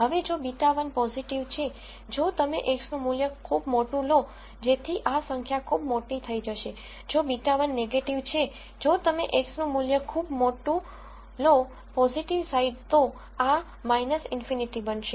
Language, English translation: Gujarati, Now if beta 1 is positive, if you take X to be a very very large value, this number will become very large, if beta 1 is negative, if you take X to be very very large value in the positive side this number will become minus infinity